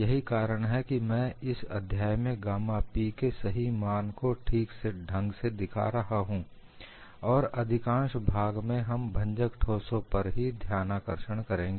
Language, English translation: Hindi, That is the reason why I am showing right away the value of gamma P, although in this chapter, in the major portion we would focus on brittle solids